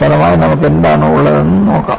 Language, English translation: Malayalam, Let us see what you have as the result